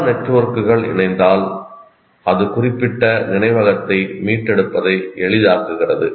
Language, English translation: Tamil, The more number of networks it gets associated, it makes the retrieval of that particular memory more easy